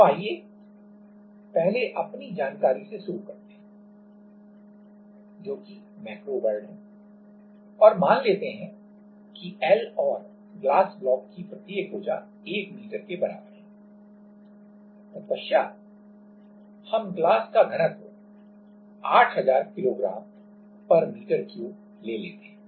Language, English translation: Hindi, Now, let us first start with our known world, that is macro world and let us assume that L is equal to or each side of the glass block is 1m, then we take the density of the glass as 8000 Kg/m^3